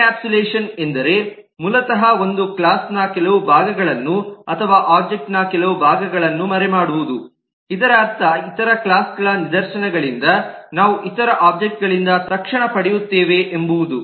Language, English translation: Kannada, encapsulation basically means hiding certain parts of a class or certain parts of the object that we will get instantiated from other objects, from instances of other classes